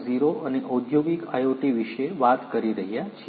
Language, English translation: Gujarati, 0 and industrial IoT